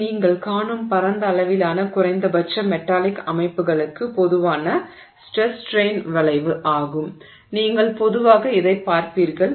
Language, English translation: Tamil, So, this is the typical stress strain curve that you will see for a wide range of at least metallic systems typically you will see this